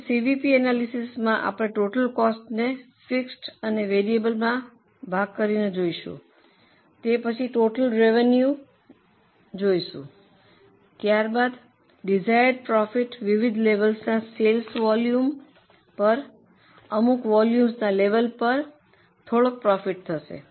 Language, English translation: Gujarati, So, in CVP analysis we look at the total cost, divide it into fixed and variable, we look at the total revenue, then we look at the desired profit vis a vis various levels of sales volume